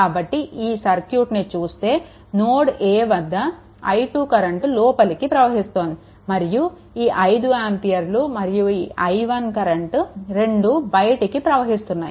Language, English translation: Telugu, So, if you look into that, therefore this i 2 current entering at node a, so the and 5 ampere and i 1 both are leaving